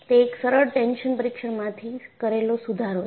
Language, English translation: Gujarati, So, it is an improvement from a simple tension test